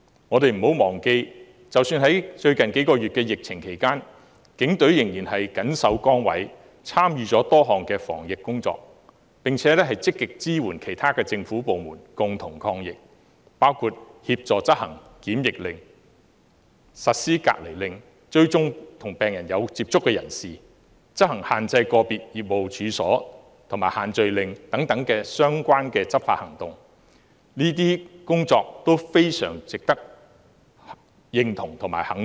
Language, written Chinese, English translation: Cantonese, 我們不要忘記，即使在最近數月的疫情期間，警隊仍然謹守崗位，參與多項防疫工作，並且積極支援其他政府部門，共同抗疫，包括協助執行檢疫令，實施隔離令，追蹤與病人有接觸的人士，執行限制個別業務處所，以及限聚令等相關執法行動，這些工作都非常值得認同和肯定。, We should not forget that the Police remain dedicated during the epidemic in recent months . They have participated in various anti - epidemic initiatives and actively supported other government departments such as assisting in the enforcement of quarantine orders and isolation orders contact tracing restrictions on certain business and premises and social gathering . These efforts deserve acknowledgement and recognition